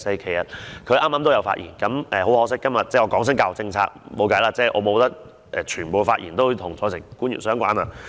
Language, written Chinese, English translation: Cantonese, 其實，他剛才也有發言，但很可惜，我們今天討論教育政策，卻沒有辦法，不可以所有發言都與在席官員相關。, In fact he has spoken just now . But unfortunately even we are talking about education policies today we can do nothing as not all speeches must be relevant to the public officers present in this Chamber